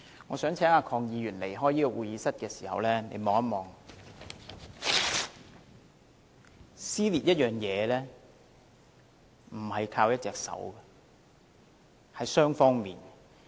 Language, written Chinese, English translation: Cantonese, 我想請鄺議員在離開會議廳時看看，撕裂一件東西，不是靠一隻手，而是要雙方的。, I wish to ask Mr KWOK to look here while he is leaving the Chamber . Tearing something needs not just one hand but both parties